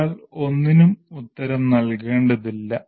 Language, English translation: Malayalam, One is not answerable to anything